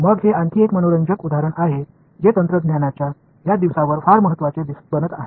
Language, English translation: Marathi, Then here is another interesting example which in technology these days is becoming very important